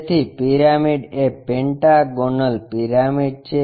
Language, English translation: Gujarati, So, a pyramid is a pentagonal pyramid